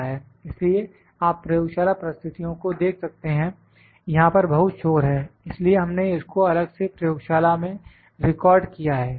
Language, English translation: Hindi, So, you can see in laboratory condition there is a lot of noise that is why we have try to record separate in the laboratory